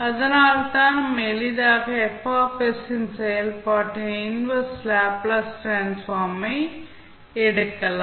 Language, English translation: Tamil, Then you can easily find out the inverse Laplace transform